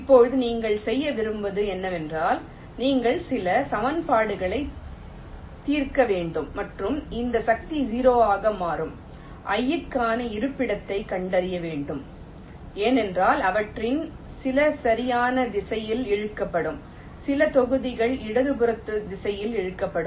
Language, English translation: Tamil, now what you want to do is that you will have to solve some equations and find out the location for i for which this force will become zero, because some of them will be pulling in the right direction, some blocks will be pulling in the left direction